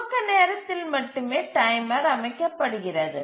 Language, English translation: Tamil, The timer is set only at the initialization time